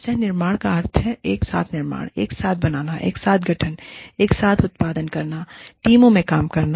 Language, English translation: Hindi, Co creation means, building together, creating together, forming together, making together, producing together, working in teams